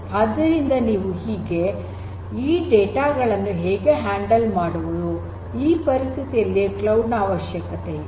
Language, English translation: Kannada, So, how do you handle that kind of data; that is where this cloud becomes necessary